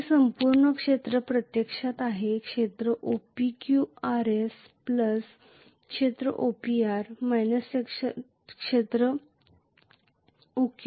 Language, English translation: Marathi, This entire area is actually area OPQRS plus area OPR minus area OQS